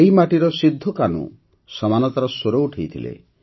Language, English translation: Odia, From this very land Sidhho Kanhu raised the voice for equality